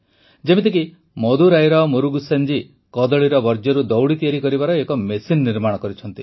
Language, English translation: Odia, Like, Murugesan ji from Madurai made a machine to make ropes from waste of banana